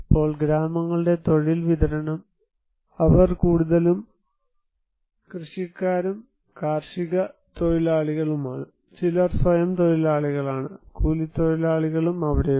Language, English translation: Malayalam, Now, occupational distribution of villages; they are mostly involved as a cultivator and agricultural labour, some are self employed, wage labourer are also there